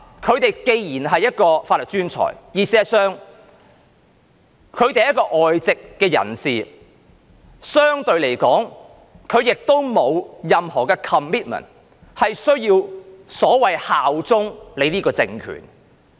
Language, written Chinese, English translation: Cantonese, 他們既然是法律專才，也是外籍人士，相對而言，他們沒有任何 commitment， 需要所謂效忠這個政權。, As they are legal experts and expatriates too in comparison they do not have any commitment that requires them to pledge allegiance so to speak to this political regime